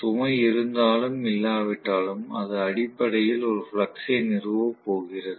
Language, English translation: Tamil, Whether there is load or not, that is immaterial, it is going to essentially establish a flux